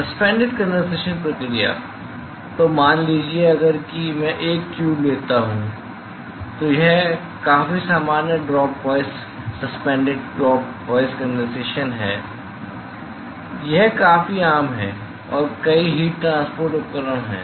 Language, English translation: Hindi, Suspended condensation process; so suppose if I take a tube suppose if I take a tube this is a fairly common drop wise suspended drop wise condensation it is fairly common and several heat transport equipments